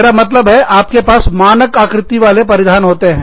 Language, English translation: Hindi, I mean, you have standardized cut garments